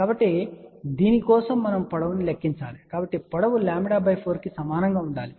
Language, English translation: Telugu, So, for this we have to calculate the length , so length should be equal to lambda by 4